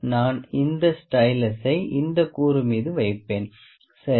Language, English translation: Tamil, I will place this stylus on this component on this component, ok